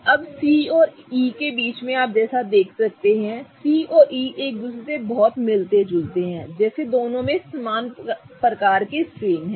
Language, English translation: Hindi, Now, between C and E as you can see C and E are kind of very similar to each other such that both of them contain similar types of strains